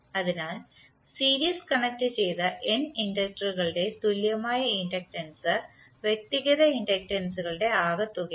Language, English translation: Malayalam, So, equivalent inductance of n series connected inductors is some of the individual inductances